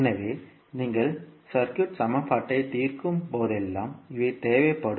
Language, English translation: Tamil, So, these are required whenever you are solving the circuit equation